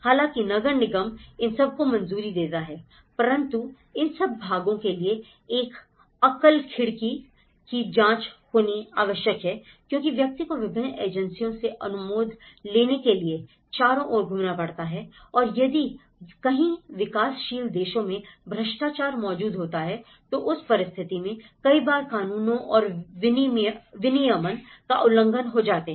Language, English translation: Hindi, So, the municipal corporation, everything has to be approved but then one has to look at a single window check you know, the person has to roam around to different agencies and get and that is wherein many of the developing countries, the corruption do exist and that time, many at times it violates laws and regulation